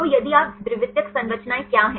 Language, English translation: Hindi, So, if you what is the secondary structures